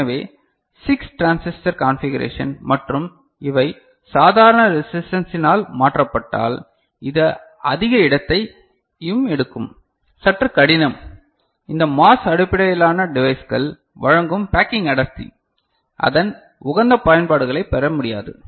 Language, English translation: Tamil, So, 6 transistor configuration and if these are replaced by normal resistance right, which will take more space and all a bit difficult, the kind of packing density that this MOS based devices provide it will not be able to you know get its optimal uses